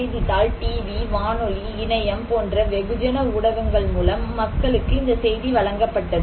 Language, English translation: Tamil, And, this message was given to the people through newspaper, through mass media like TV, radio, internet